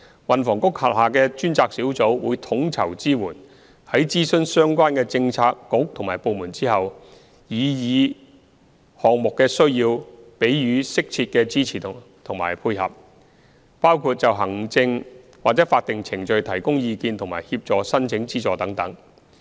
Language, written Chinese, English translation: Cantonese, 運房局轄下的專責小組會統籌支援，在諮詢相關的政策局和部門後，按擬議項目的需要給予適切的支持和配合，包括就行政或法定程序提供意見和協助申請資助等。, A Task Force under the Transport and Housing Bureau will provide coordinated support and upon consulting relevant bureaux and departments provide appropriate assistance and facilitation according to the needs of the proposed items . These include offering advice on administrative or statutory procedures and assisting application for funding support